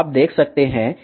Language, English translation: Hindi, Now, let us see what is OP